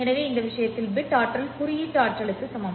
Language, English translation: Tamil, So in this case, the bit energy is equal to the symbol energy